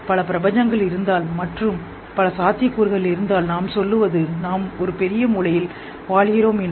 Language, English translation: Tamil, If multiple universes are there multiple possibilities, they say, are we living in a giant brain